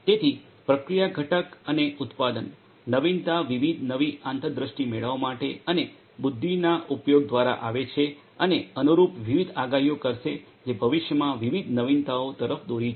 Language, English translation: Gujarati, So, process component and production; innovation will come through the use of knowledge and intelligence for deriving different new insights and correspondingly making different predictions which will lead to different innovations in the future